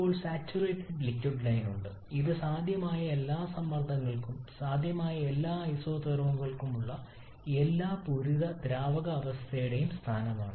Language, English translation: Malayalam, Now we have the saturated liquid line which is the locus of all the saturated liquid state for all possible pressures, all possible isotherms